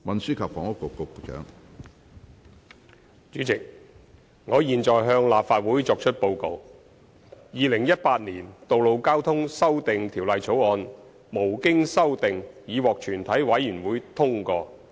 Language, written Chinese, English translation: Cantonese, 主席，我現在向立法會作出報告：《2018年道路交通條例草案》無經修正已獲全體委員會通過。, President I now report to the Council That the Road Traffic Amendment Bill 2018 has been passed by committee of the whole Council without amendment